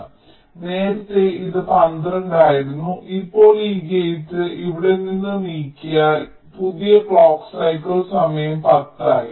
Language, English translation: Malayalam, so what we have worked out, so earlier it was twelve, now, by moving this gate out here, now the new clock circle time becomes ten